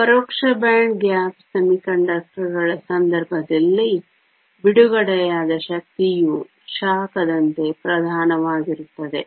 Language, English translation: Kannada, In the case of indirect band gap semiconductors, the energy released is dominantly as heat